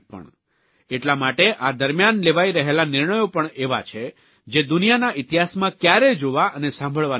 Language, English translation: Gujarati, Hence the decisions being taken during this time are unheard of in the history of the world